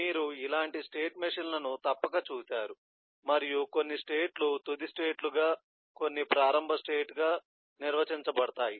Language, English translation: Telugu, you you must have seen such kind of state machines like this and some states are defined as final states, some as an initial state here in